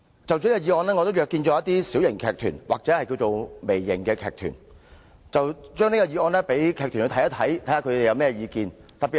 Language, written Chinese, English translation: Cantonese, 就着這項議案，我也約見了一些小型或微型劇團，詢問他們對議案有何意見。, Because of this motion I have met with some small or mini theatrical groups to collect their views